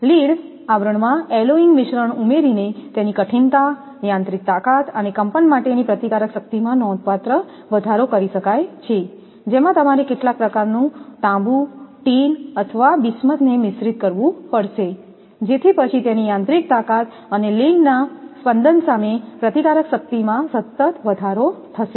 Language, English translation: Gujarati, The hardness, mechanical strength and resistance to vibration of lead sheath can be considerably increased by adding alloying mixture; wherein some kind of you have to mix copper, tin or bismuth, then this mechanical strength and resistance to vibration of lead it can be your constantly increased